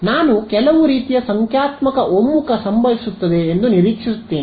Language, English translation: Kannada, So, I would expect some kind of numerical convergence to happen